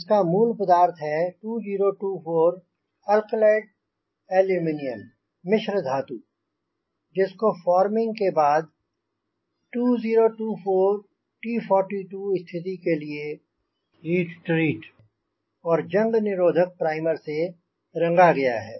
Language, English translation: Hindi, the principal material is two zero two four alclad aluminium alloy which after forming is heat treated to two zero two four t four two condition and sprinted with corrosion resistant primer